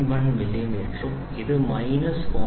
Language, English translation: Malayalam, 01 millimeter and this is minus 0